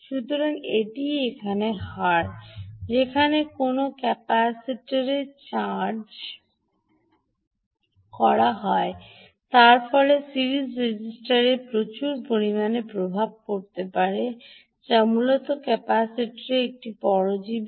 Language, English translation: Bengali, so the this is the rate at which a capacitor is charged is charging will have a huge bearing on the series resistor, which is basically a parasite on the capacitor